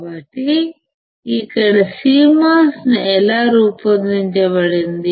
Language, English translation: Telugu, So, here this is how the CMOS is designed